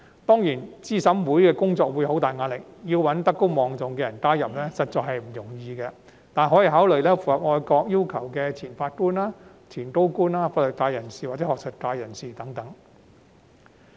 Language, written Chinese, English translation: Cantonese, 當然，資審會的工作會面對很大壓力，要找德高望重的人加入，實在不容易，但可以考慮符合愛國要求的前法官、前高官、法律界或學術界人士等。, Certainly it will not be easy to find highly respected figures to join CERC as it will work under considerable pressure . Former judges former principal officials legal professionals or academics who meet the patriotic requirement can be taken into consideration